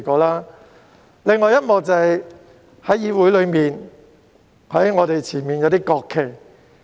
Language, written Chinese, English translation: Cantonese, 另一幕便是關於議會內放在我們前面的國旗。, Another episode is about the national flags put up before us in the legislature